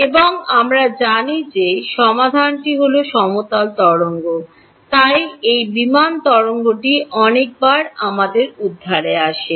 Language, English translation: Bengali, And we know the solution is plane wave right, so this plane wave comes to our rescue many many times